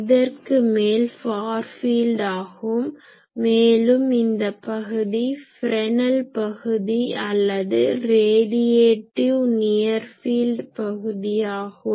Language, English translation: Tamil, So, beyond this is the far field and this region in this region this is called Fresnel region or also it is called radiative near field region